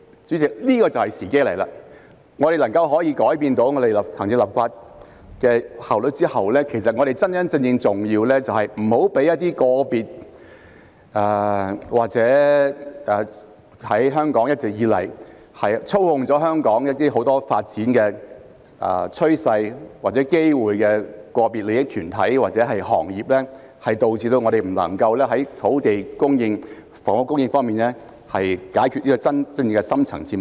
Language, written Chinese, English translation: Cantonese, 主席，現在時機到了，在我們改善行政立法的效率後，真正重要的是抵擋一些一直以來操控香港很多發展趨勢或機會的個別利益團體或行業，以免導致我們不能在土地供應、房屋供應方面解決真正的深層次矛盾。, President the time has come now . After improvement is made to the efficiency of the executive and legislature it is truly important to resist individual interest groups or industries that have long been controlling many development trends or opportunities in Hong Kong lest the real deep - rooted conflicts in land supply and housing supply cannot be addressed